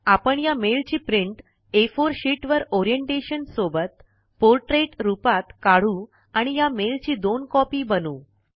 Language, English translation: Marathi, We shall print this mail on an A4 sheet, with Orientation as Portrait and make two copies of this mail